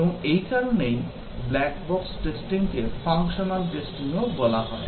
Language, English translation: Bengali, And, for this reason, the black box testing is also called as functional testing